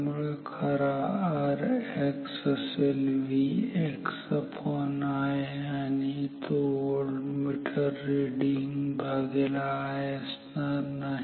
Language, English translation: Marathi, So, true R X is V x by I and this not equal to V that is the voltmeter reading by I